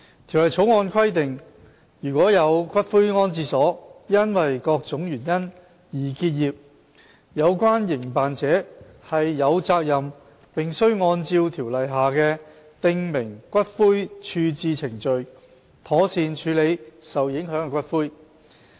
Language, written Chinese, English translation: Cantonese, 《條例草案》規定，如有骨灰安置所因各種原因而結業，有關營辦者有責任並須按照條例下的訂明骨灰處置程序，妥善處理受影響的骨灰。, The Bill provides that if a columbarium ceases operation for any reasons the operator concerned has the responsibility to and must properly handle the ashes affected pursuant to the prescribed ash disposal procedures under the legislation